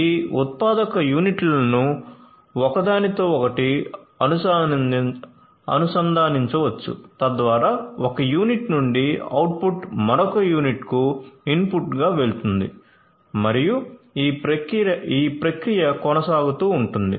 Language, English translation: Telugu, So, and these manufacturing units can be connected with one another so, that the input from one unit goes to go sorry the output from one unit goes as an input to another unit and the process continues